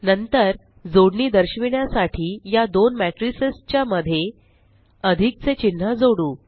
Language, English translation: Marathi, Type plus in between these two matrices So there is the plus symbol